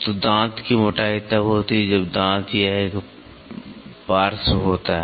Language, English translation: Hindi, So, tooth thickness is when the tooth this is a flank